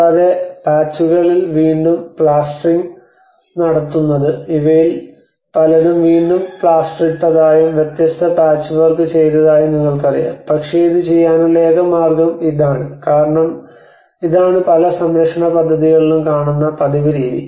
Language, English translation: Malayalam, And re plastering in patches you know like see that these many of the things have been re plastered and different patchwork has been done but is it the only way to do it because this is the one of the common practice you find in many of the conservation projects